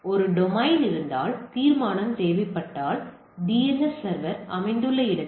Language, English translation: Tamil, So, if there is a domain and resolution is required then; where is the DNS server is located